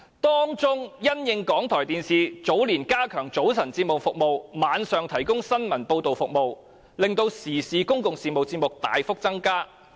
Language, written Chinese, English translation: Cantonese, 當中，因應港台電視早年加強早晨節目服務及晚上提供新聞報道服務，令時事及公共事務節目大幅增加。, In particular following enhancement of the morning programmes and news reports at night by RTHK TV years ago the output of public and current programmes has increased considerably